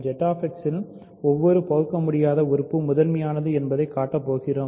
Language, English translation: Tamil, So, we are going to show that every irreducible element of Z X is prime